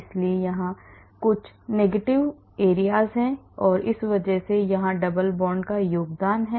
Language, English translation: Hindi, so there are some negative regions here because of this the double bond here that is contributing to that